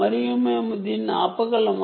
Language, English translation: Telugu, and can we stop this